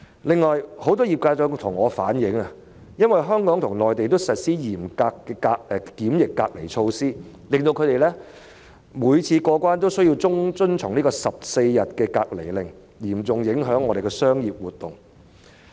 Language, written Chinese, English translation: Cantonese, 此外，很多業界人士向我反映，因為香港與內地均實施嚴格的檢疫隔離措施，令他們每次出入境後都要遵從14天隔離令，因而嚴重影響本港的商業活動。, In addition many members of the industry have relayed to me that since Hong Kong and the Mainland have both implemented very strict quarantine measures they must abide by a 14 - day quarantine order each time upon entering or leaving Hong Kong thus seriously affecting business activities in Hong Kong